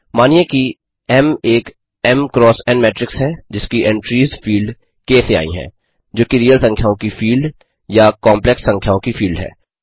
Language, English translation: Hindi, Suppose M is an m in matrix, whose entries come from the field K, which is either the field of real numbers or the field of complex numbers